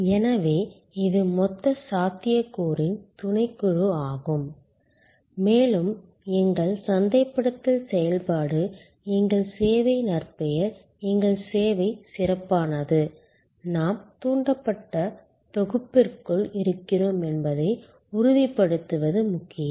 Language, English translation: Tamil, So, it is a subset of the total possibility and it is important that as our marketing activity, our service reputation, our service excellence ensures that we are within the evoked set